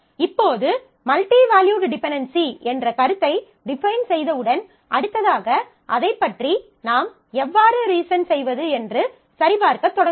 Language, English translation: Tamil, Now, once having defined the notion of multi valued dependency, we next proceed to check, how do we reason about that